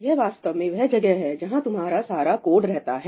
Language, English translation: Hindi, This is essentially where all your code resides